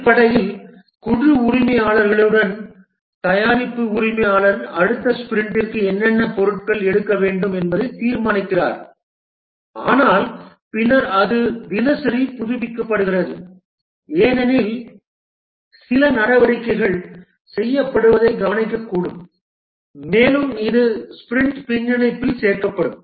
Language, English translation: Tamil, Basically, the product owner along with the team members decide what are the items to take up for the next sprint, but then it is updated daily because some activities may be noticed to be done and that is added to the sprint backlog